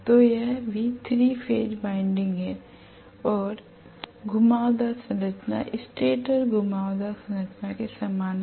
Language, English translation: Hindi, So it is also going to have 3 phase winding that is the winding structure is similar to the stator winding structure